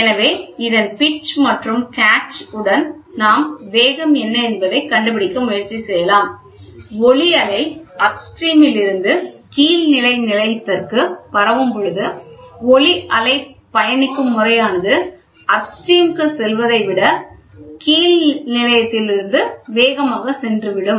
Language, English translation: Tamil, So, with the pitch and catch we can try to figure out what is the velocity, right, when the sound wave is transmitted from the upstream to the downstream station, the sound wave travels faster than going from downstream to upstream